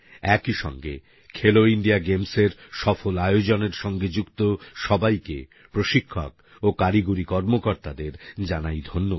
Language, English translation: Bengali, I also thank all the people, coaches and technical officers associated with 'Khelo India Games' for organising them successfully